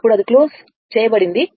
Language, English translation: Telugu, Then it is closed right